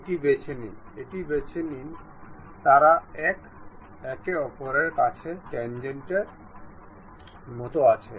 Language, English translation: Bengali, Pick this one, pick this one, they are tangent to each other